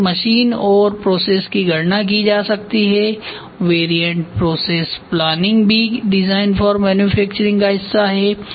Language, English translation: Hindi, Then machine and process calculations can be done variant process planning is also part of design for manufacturing